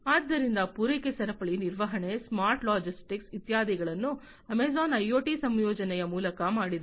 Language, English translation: Kannada, So, supply chain management, smart logistics etcetera, have been have been done by Amazon through the incorporation of IoT